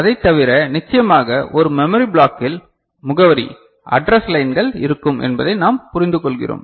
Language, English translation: Tamil, And other than that the memory of course, we understand that in a memory block there will be an address lines ok